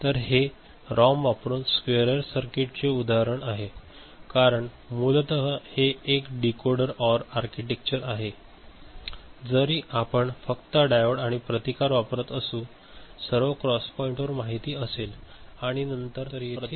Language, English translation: Marathi, So, here is an example of a squarer circuit using ROM, because essentially it is a Decoder OR architecture is there right, even if you use diode or you know resistance and all at the cross point and then output taken across the resistance right